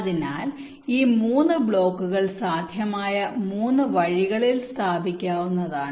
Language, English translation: Malayalam, so these three blocks can be placed in three possible ways